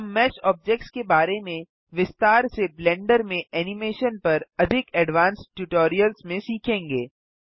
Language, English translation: Hindi, We will learn about mesh objects in detail in more advanced tutorials about Animation in Blender